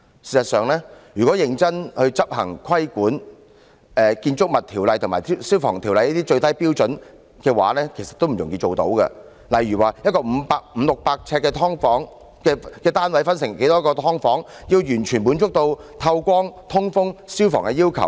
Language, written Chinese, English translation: Cantonese, 事實上，如果認真執行規管，在《建築物條例》及《消防安全條例》下的最低標準，也不容易達到，例如把一個五六百平方呎的單位分成多少個"劏房"，才能完全滿足透光、通風等消防要求？, In fact if regulation is strictly enforced the minimum standards under the Buildings Ordinance and the Fire Safety Buildings Ordinance are by no means easy to meet . For example how many units should a flat of 500 sq ft to 600 sq ft be subdivided into in order to fully satisfy such fire safety requirements as light penetration and ventilation?